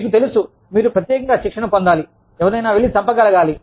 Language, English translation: Telugu, You know, you have to be specially trained, to be able to go and kill somebody